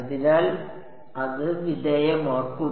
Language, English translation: Malayalam, So, that will be subjected